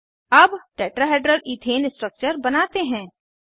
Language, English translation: Hindi, Now, lets draw Tetrahedral Ethane structure